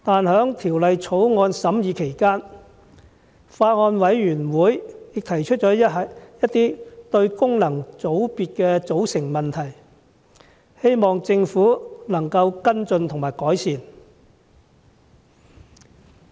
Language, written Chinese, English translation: Cantonese, 在審議期間，法案委員會提出了一些有關功能界別組成的問題，我希望政府能作出跟進及改善。, During the deliberation of the Bill the Bills Committee has raised some issues about the composition of functional constituency FC . I hope the Government will follow up and make improvements